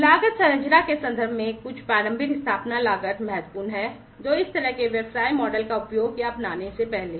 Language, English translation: Hindi, In terms of the cost structure, there is some initial establishment cost that is important, before one uses or adopts this kind of business model